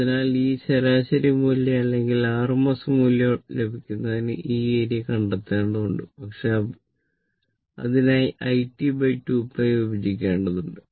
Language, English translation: Malayalam, So, you have to find out this area to get this average value or rms value, but you have to divide it by 2 pi you have to divide this by 2 pi